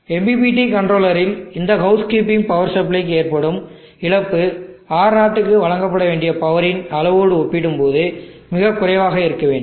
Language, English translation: Tamil, And the loss in power to this housekeeping power supply in the MPPT controller should be very low compare to the amount of power that is to be deliver to R0